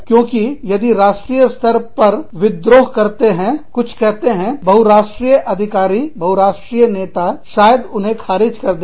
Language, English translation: Hindi, Because, if at the national level, they revolt, they say something, the multi national authority, the multi national leader, may reject them